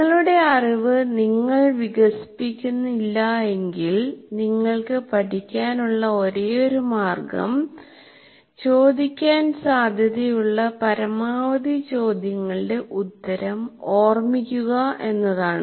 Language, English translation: Malayalam, If you don't construct your knowledge, the only way you can rest, you are supposed to be learning is to remember the answers to questions that are going to be asked for as many questions as possible